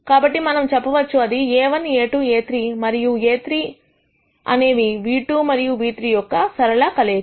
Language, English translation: Telugu, So, we can say that A 1 A 1, A 2 and A 3 are linear combinations of nu 2 and nu 3